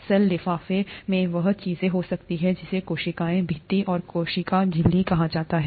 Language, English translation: Hindi, The cell envelope may contain what is called a cell wall and a cell membrane